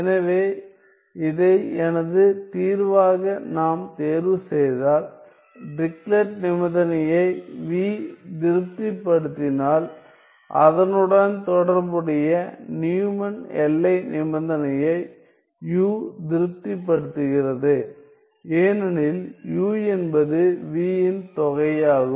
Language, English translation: Tamil, So, if we were to choose this as my solution and if v satisfies the Dirichlet condition then u satisfies the corresponding Neumann boundary condition because u is the integral of v